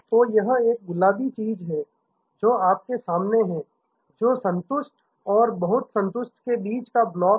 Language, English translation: Hindi, So, there is a this pink thing that you have in front of you, which is the block between satisfied and very satisfied